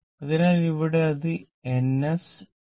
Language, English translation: Malayalam, So, here it is N S, N S